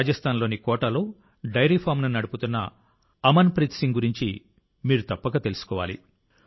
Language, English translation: Telugu, You must also know about Amanpreet Singh, who is running a dairy farm in Kota, Rajasthan